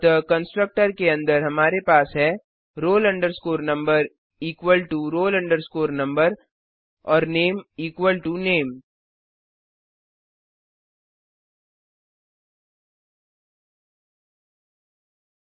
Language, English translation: Hindi, So inside the constructor we have: roll number equal to roll number and name equal to name